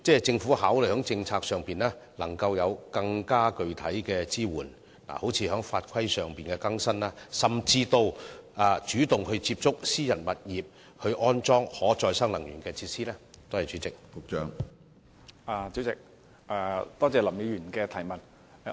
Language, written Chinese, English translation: Cantonese, 政府會否考慮在政策上提供更具體的支援，例如更新法規，甚至主動接觸私人物業業主，看看他們是否願意安裝可再生能源設施？, Will the Government consider the provision of more specific policy support such as renewing the laws and regulations or even taking the initiative to contact private property owners and see if they are willing to install RE facilities?